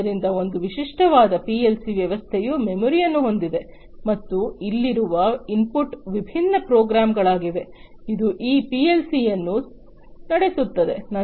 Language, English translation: Kannada, So, a typical PLC system has memory, and the input over here are different programs, which run these PLC’s